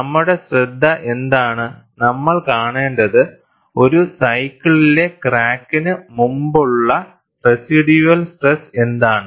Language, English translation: Malayalam, And what is our focus is, we want to see, what is a residual stress ahead of a crack, in a cycle